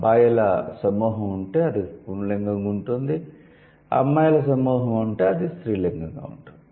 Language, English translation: Telugu, If there are a group of boys then it's going to be masculine, if there are a group of girls it is going to be feminine